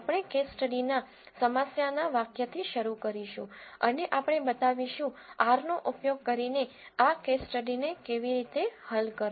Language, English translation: Gujarati, We will start with the problem statement of the case study and we will show how to solve this case study using R